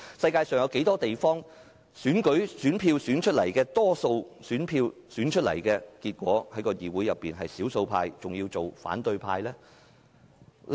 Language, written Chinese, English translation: Cantonese, 世界上有哪些地方得到大多數選票的議員會變成議會的少數派，還要成為反對派？, Is there anywhere in this world where Members who have won the majority votes ended up as the minority and even the opposition in the legislature?